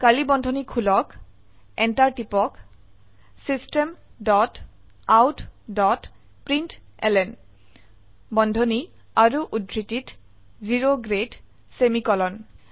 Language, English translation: Assamese, Open curly brackets press enter System dot out dot println within brackets and double quotes O grade semicolon